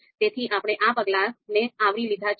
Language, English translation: Gujarati, So we have been able to cover these steps